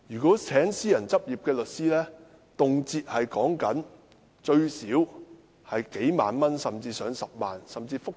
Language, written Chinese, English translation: Cantonese, 聘請私人執業律師動輒須花上數萬元甚至10萬元。, If they engage lawyers in private practice they have to spend tens of thousands of dollars or even a hundred thousand dollars